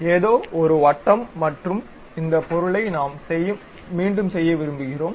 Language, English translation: Tamil, Something like circle and this object we want to repeat it